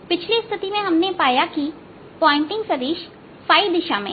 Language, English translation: Hindi, now we have to calculate the pointing vector